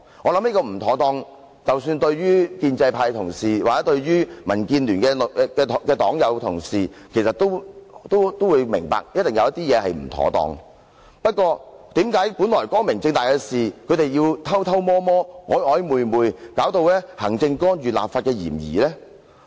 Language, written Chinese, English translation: Cantonese, 我相信，建制派同事或民建聯黨友和同事也明白，當中一定有不妥當的地方，不過，為何本來光明正大的事情，他們卻偷偷摸摸、曖曖昧昧，以致有行政干預立法的嫌疑？, I believe that pro - establishment Members and Members of the Democratic Alliance for the Betterment and Progress of Hong Kong DAB also understand that something must have gone wrong . The inquiry should be open and above board how come the two had acted clandestinely giving rise to alleged interference of the Executive Authorities with the legislature?